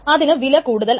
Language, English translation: Malayalam, So that is a big cost